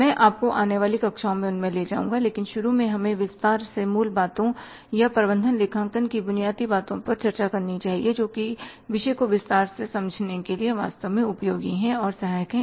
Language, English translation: Hindi, I will take you in the coming classes but initially let us discuss in detail the basics or the fundamentals of management accounting which are really useful and helpful to understand the subject in detail